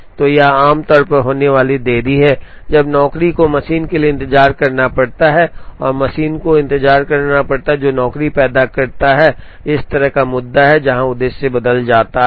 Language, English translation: Hindi, So, it is usually the delays that happen, when the job has to wait for the machine and the machine has to wait, for the job that creates, this kind of an issue, where the objective changes